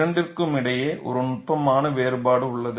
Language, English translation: Tamil, You know, these are all subtle differences